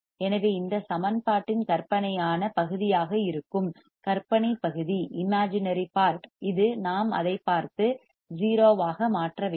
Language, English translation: Tamil, So, which is the imaginary part, which is the imaginary part in this equation, we must see and make it 0